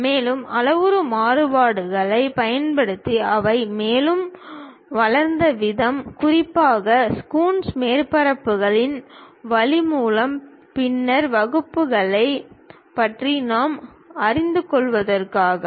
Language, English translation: Tamil, And, the way they developed further using parametric variations, especially by Coons way of surfaces which we will learn about later classes